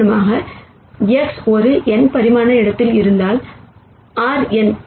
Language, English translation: Tamil, So for example, if X is in an n dimensional space R n